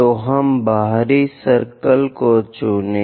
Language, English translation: Hindi, So, let us pick the outer circle, this one